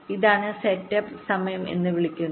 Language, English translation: Malayalam, this is the so called setup time